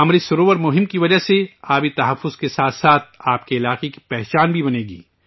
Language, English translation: Urdu, Due to the Amrit Sarovar Abhiyan, along with water conservation, a distinct identity of your area will also develop